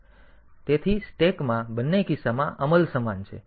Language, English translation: Gujarati, So, in the stack the in both the cases execution is same